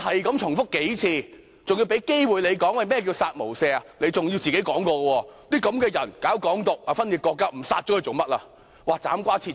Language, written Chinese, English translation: Cantonese, 他重複了數次，他更有機會解釋何謂"殺無赦"，他說這些人主張"港獨"、分裂國家，不殺不行。, He has repeated it several times and has had the chance to explain the meaning of the phrase kill with no mercy . According to him these people advocate Hong Kong independence seek to secede from the country and should be killed